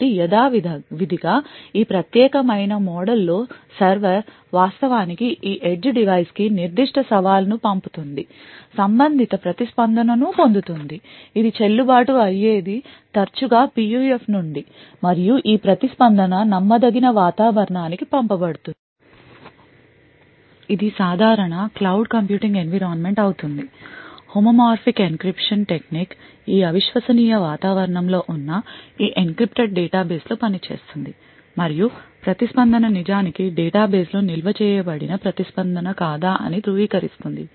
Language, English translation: Telugu, So in this particular model as usual, the server would actually send the particular challenge to this edge device, obtain the corresponding response which if valid is often from the PUF and this response is then sent to the untrusted environment, this would be a regular cloud computing environment, the homomorphic encryption technique used present in this untrusted environment then works on this encrypted database and validates whether the response is indeed the response which is stored in the database